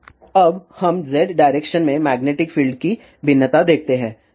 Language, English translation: Hindi, Now, let us seethe variation of magnetic field inZ direction